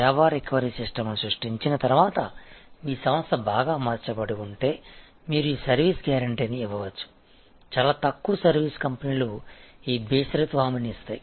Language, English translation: Telugu, And one of the things that if your organization is well equipped after handling creating the service recovery system, then you can give this service guarantee, very few you service companies give this unconditioned guarantee